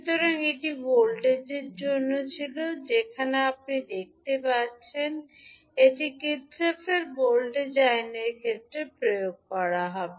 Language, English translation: Bengali, So this was for the voltage, where you see, this would be applied in case of Kirchhoff’s voltage law